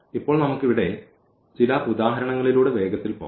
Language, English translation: Malayalam, So, now let us just quickly go through some examples here